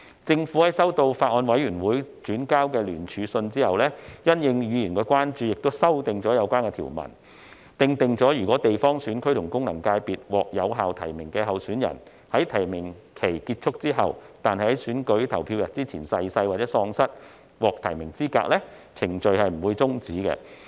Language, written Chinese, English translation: Cantonese, 政府在收到法案委員會轉交的聯署信後，因應議員的關注，修正了有關條文，訂明如果地方選區及功能界別獲有效提名的候選人在提名期結束後但在選舉投票日前逝世或喪失獲提名的資格，有關程序不會終止。, Upon receipt of the joint letter forwarded by the Bills Committee the Government has in response to Members concern amended the relevant provisions to provide that if a validly nominated candidate in a GC or FC has died or is disqualified from being nominated as a candidate after the close of nominations but before the polling day of the election the relevant proceedings would not be terminated